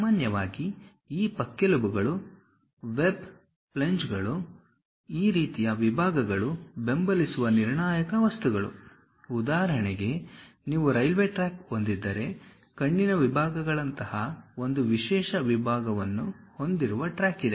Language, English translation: Kannada, Typically these ribs, web, flanges this kind of sections are crucial materials to support; for example, like if you have a railway track, there is a track is having one specialized section like eye sections